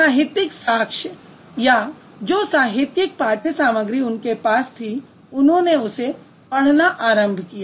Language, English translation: Hindi, The literary evidence that they had or the literary texts that they had, they actually started studying